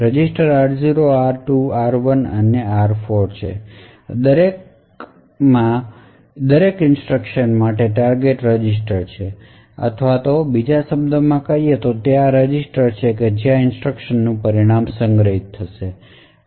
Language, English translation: Gujarati, So there are like the registers r0, r2, r1 and r4 which are actually the target registers for each instruction or in other words these are the registers where the result of that instruction is stored